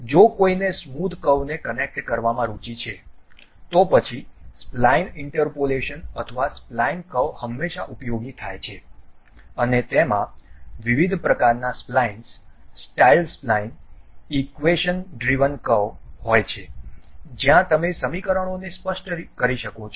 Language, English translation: Gujarati, If one is interested in connecting smooth curves, then spline interpolation or spline curves are always be useful and it has different kind of splines also, style spline, equation driven curve where you can specify the equations also